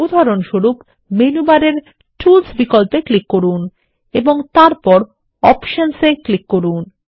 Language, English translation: Bengali, For example, click on the Tools option in the menu bar and then click on Options